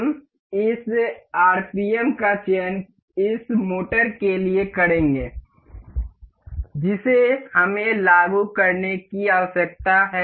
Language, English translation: Hindi, We can we will select this rpm for this motor that we need to apply